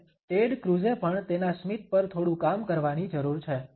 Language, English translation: Gujarati, And Ted Cruz, also has some work to do on his smile